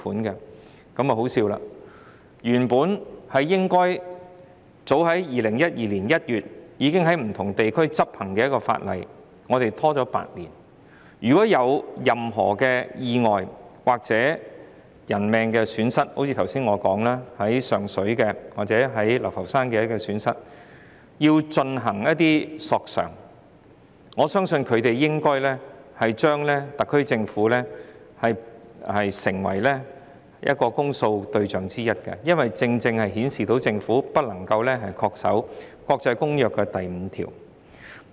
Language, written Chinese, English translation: Cantonese, 這真的很可笑，原本應該早於2012年1月已經在不同地區執行的國際協定，香港卻拖延了8年，如有任何意外或人命損失，正如我剛才所說，如果要就上水或流浮山意外造成的損失進行索償，我相信索償人應該視特區政府為公訴對象之一，因為政府未能恪守《公約》第五條。, It is ridiculous that our Government has delayed the adoption of these requirements in Hong Kong for eight years while different regions have adopted them long ago in January 2012 . If accidents have happened or casualties have been incurred during that period if the victims of the accidents in Sheung Shui or Lau Fau Shan which I just said lodge claims for damages in to the court I believe they should regard the Hong Kong SAR Government as one of the indictment targets because the Government has failed to comply with Article V of the Convention